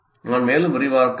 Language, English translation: Tamil, Now I can expand further